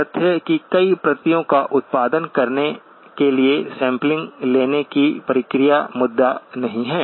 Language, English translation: Hindi, So the fact that the process of sampling is going to produce multiple copies is not the issue